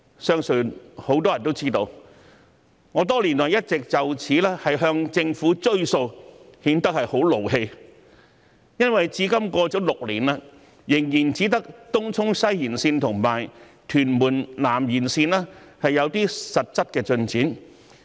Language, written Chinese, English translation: Cantonese, 相信很多人都知道，我多年來一直就此要求政府兌現承諾，顯得很生氣，因為至今已過了6年，仍然只有東涌西延綫和屯門南延綫有些實際進展。, Many people may know that I have been asking the Government to honour its promises for many years . I am very angry because six years have passed and only the Tung Chung West Extension and Tuen Mun South Extension have made some real progress . Obviously there are several projects that must be carried out